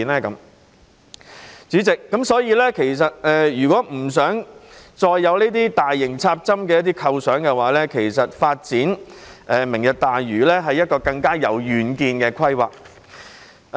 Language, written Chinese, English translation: Cantonese, 因此，主席，如果不想再有大型"插針"的構想，其實發展"明日大嶼"是一項更有遠見的規劃。, Therefore President if we do not want to have any more proposition of large - scale infill the development of Lantau Tomorrow is actually a more far - sighted plan